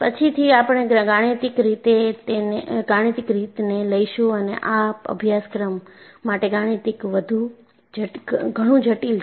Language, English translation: Gujarati, Later we will take up mathematics and mathematics is quite complex in this course